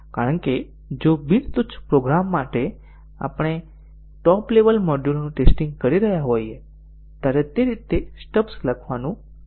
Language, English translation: Gujarati, Because if for a non trivial program, when we are testing the top level modules, writing stubs for those way down would be difficult